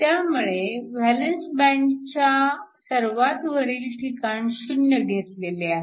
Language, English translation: Marathi, So, that the top of the valence band is taken as 0